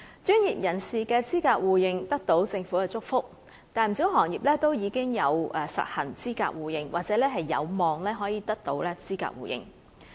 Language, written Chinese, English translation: Cantonese, 專業人士的資格互認，得到政府祝福，不少行業都已實行資格互認，或者有望得到資格互認。, With the Governments blessing many industries already have their qualifications recognized or are likely to have their qualifications recognized in the Mainland